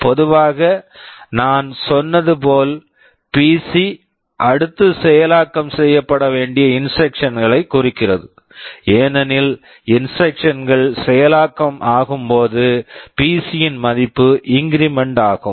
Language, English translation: Tamil, Normally as I said PC will be pointing to the next instruction to be executed, as the instructions are executing the value of the PC gets incremented